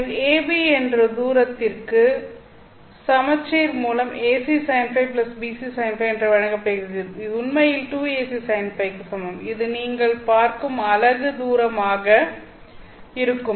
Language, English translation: Tamil, So that distance AB is given by AC sine 5 plus Bc sine 5 by symmetry this is actually equal to 2 AC sine 5 and this would be the distance that you are looking at